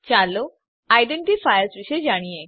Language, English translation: Gujarati, Let us know about identifiers